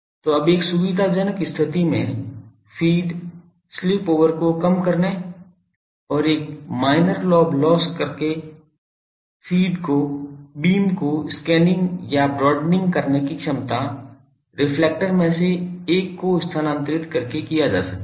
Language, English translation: Hindi, So, feed in a convenient position reduction of spill over and minor lobe loss now, capability for scanning or broadening the beam can be done by moving one of the reflectors